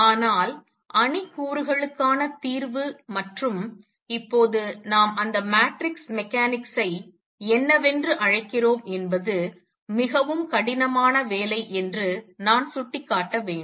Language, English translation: Tamil, But what I should point out that solving for matrix elements and what is now we will call matrix mechanics at that time was a very tough job